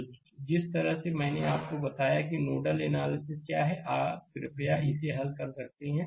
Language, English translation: Hindi, So, the way the way I have told you that nodal analysis, may you please solve it